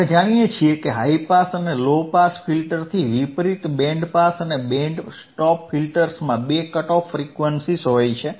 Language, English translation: Gujarati, We know that unlike high pass and low pass filters, band pass and band stop filters have two cut off frequencies have two cut off frequency right,